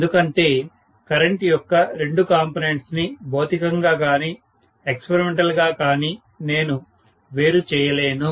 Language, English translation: Telugu, Because I will not be able to segregate the two components of current you know physically or experimentally